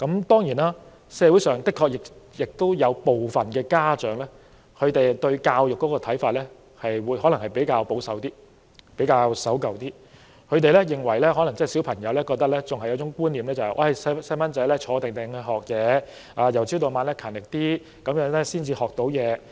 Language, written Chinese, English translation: Cantonese, 當然，社會上的確有部分家長對教育的看法較為保守、守舊，他們可能仍然抱有一種觀念，認為孩子應該安坐學習，由早到晚也要很勤力才可以學到知識。, Certainly there are some parents in society who hold a more conservative or traditional view on education . They believe that children should sit tight and learn and only by studying hard from morning till night will they be able to acquire knowledge